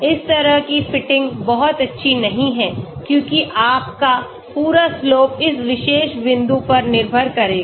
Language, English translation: Hindi, This type of fitting is not very good because your entire slope will depend upon this particular point